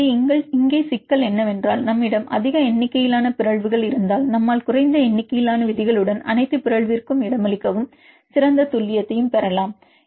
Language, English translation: Tamil, So, here the problem is if we have more number of mutations and we could accommodate all the mutation with less number of rules, we can get better accuracy right